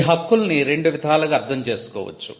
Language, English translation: Telugu, Rights can be used in 2 broad senses